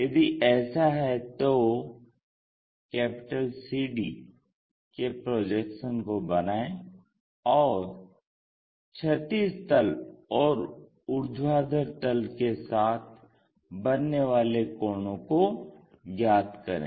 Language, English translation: Hindi, If that is the case draw projections of CD and find angles with horizontal plane and vertical plane